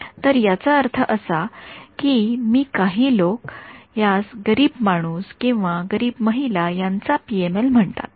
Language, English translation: Marathi, So, this is I mean some people call this a poor man’s or poor women’s PML ok